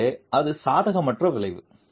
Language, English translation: Tamil, So, that's an unfavorable effect